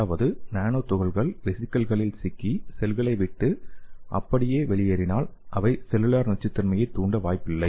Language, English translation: Tamil, That is if the nanoparticles are trapped in the vesicles and leave the cells intact, they are unlikely to induce cellular toxicity